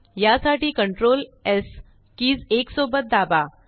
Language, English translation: Marathi, Press the CTRL+S keys together to do this